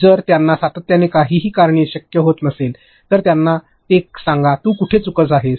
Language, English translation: Marathi, If they are continuously not being able to do anything, then tell them why; where are you going wrong